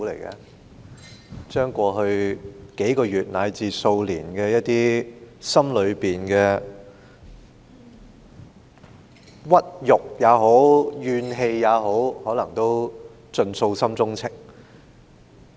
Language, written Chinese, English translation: Cantonese, 他把過去數個月至數年之間，心中的屈辱或怨氣傾吐，可能是想盡訴心中情。, He fully expressed himself about his humiliation or anger over the last few weeks or years from the bottom of his heart perhaps in a bid to pour out those emotions thoroughly